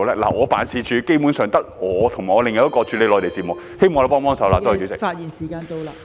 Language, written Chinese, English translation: Cantonese, 我的辦事處基本上只有我和另一名負責處理內地事務的人員，希望政府幫忙......, Basically there is only me and another staff member responsible for Mainland affairs in my office . I hope the Government can help